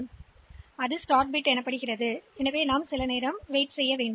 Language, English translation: Tamil, So, that will be the start bit then we have to wait for some bit time